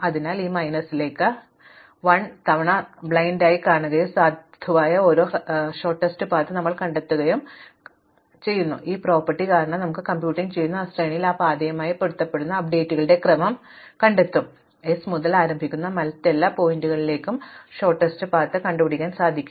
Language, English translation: Malayalam, So, you just blindly to this n minus 1 times and it because of this property that you will find for every valid shortest path, you will find the sequence of updates which matches that path in this sequence that you are to computing here, you will always get the shortest path to every other vertex starting from s